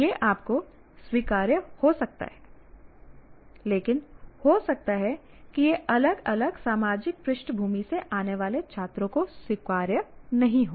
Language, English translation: Hindi, It may be acceptable to you but it may not be acceptable to students coming from a different social background